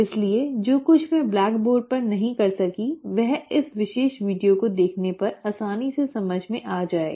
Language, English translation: Hindi, So whatever I could not do it on the blackboard will be easily understood by you when you watch this particular video